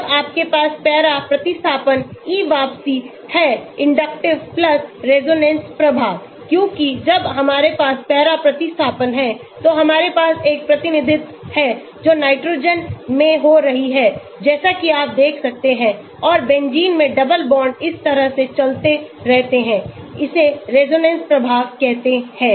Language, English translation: Hindi, when you have para substitution e withdrawing inductive+resonance effects because when we have the para substitution we have there is a resonance that is happening in the nitrogen as you can see and double bonds in the benzene keep moving like this, this is called resonance effect